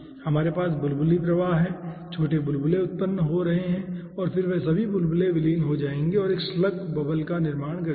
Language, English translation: Hindi, small, small bubbles are being generated, and then all those bubbles will be merging and forming a slug bubble